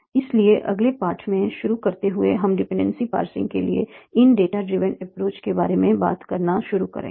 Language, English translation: Hindi, So starting from the next lecture, we will start talking about these data driven approaches for dependency passing